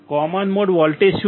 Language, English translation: Gujarati, What is common mode voltage